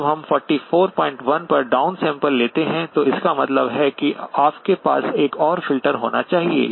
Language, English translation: Hindi, When we down sampled to 44 point 1, so which means that you must have another filter